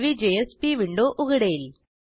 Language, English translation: Marathi, A new JSP window opens